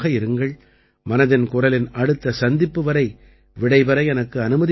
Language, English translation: Tamil, I take leave of you till the next episode of 'Mann Ki Baat'